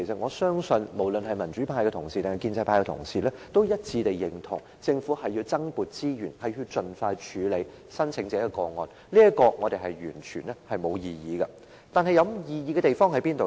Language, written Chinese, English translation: Cantonese, 我相信不論是民主派或建制派同事也一致認同，政府須增撥資源盡快處理申請者的個案，對此我們是完全沒有異議的，有異議的地方在哪裏呢？, I believe that Members from both the democratic camp and the pro - establishment camp will agree that more resources should be allocated by the Government to deal with the applications and we have absolutely no disagreement here . Where does our disagreement lie then?